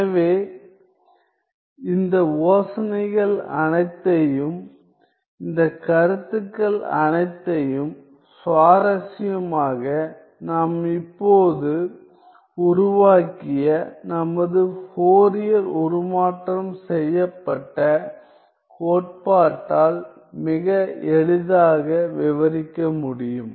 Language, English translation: Tamil, So, these interestingly all these ideas, all these notions could be very easily described by our Fourier transformed theory that we have just developed